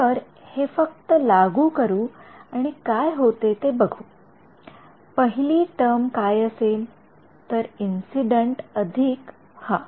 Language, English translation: Marathi, So, let us just apply this and see what happens, what will the first term give me so, incident plus yeah